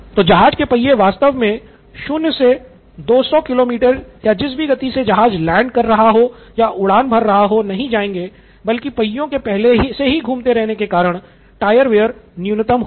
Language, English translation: Hindi, So it does not actually start from 0 to 200 kilometre or whatever speed it is going at, at that moment but it is already at a rotating speed so the tyre ware is minimal